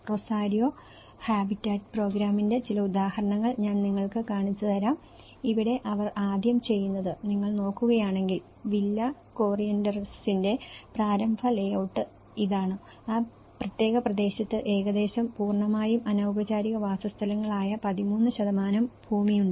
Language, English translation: Malayalam, I will show you some examples of Rosario Habitat Programme and here, what they do is initially, if you look at it, this is the initial layout of the Villa Corrientes and there has been almost 13% of the land in that particular region is all completely the informal settlements